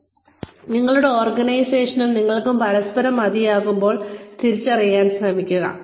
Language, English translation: Malayalam, So, try and recognize, when your organization and you have, had enough of each other